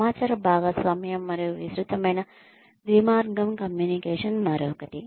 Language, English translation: Telugu, Information sharing, and extensive two way communication, is yet another one